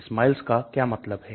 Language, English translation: Hindi, What does this SMILES means